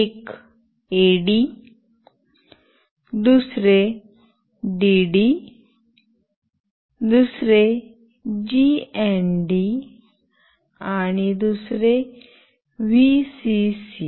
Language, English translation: Marathi, One is AD, another is DD, another is GND and another is Vcc